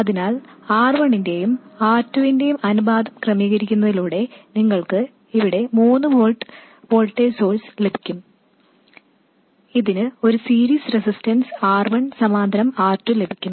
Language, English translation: Malayalam, So, by adjusting the ratio of R1 by R2, you can get 3 volts voltage here and it will have a series resistance R1 parallel R2